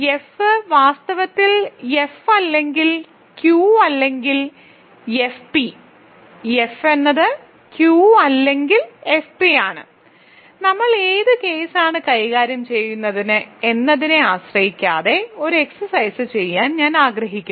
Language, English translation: Malayalam, So, F is in fact, so F is Q or F p for some p right, so F is Q or F p, so I want to do an exercise which is not dependent on which case we are dealing with